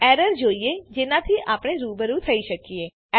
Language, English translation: Gujarati, Now let us see an error which we can come across